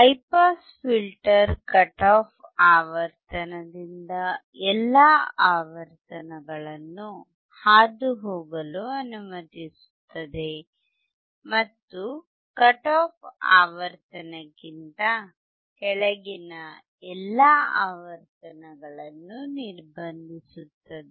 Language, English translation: Kannada, A high pass filter passes all frequencies from the cut off frequency, and blocks all the frequencies below the cut off frequency